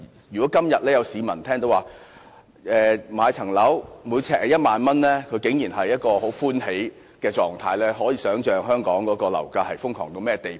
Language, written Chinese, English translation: Cantonese, 如果今天有市民聽到住宅物業呎價為1萬元，竟然會很歡喜，可以想象香港的樓價瘋狂至甚麼地步。, Members of the public are surprisingly overjoyed when they learn that there are flats priced at some 10,000 per square foot . Thus one can well imagine how crazy Hong Kong property prices are